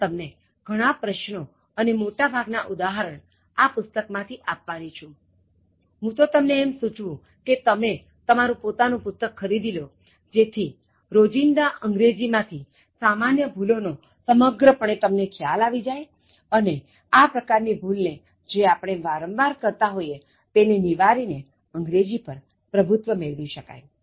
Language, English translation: Gujarati, But, I am going to give you more of this exercise and most of the examples I am going to derive from this book but I also suggest that you buy this on your own so that you get a complete grasp of the common errors in everyday English and try to master or overcome this kind of errors which you commit normally in everyday English